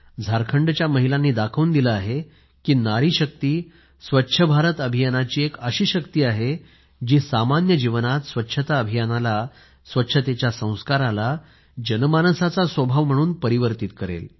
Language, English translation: Marathi, These women of Jharkhand have shown that women power is an integral component of 'Swachh Bharat Abhiyan', which will change the course of the campaign of cleanliness in general life, the effective role of hygiene in the nature of the people ingeneral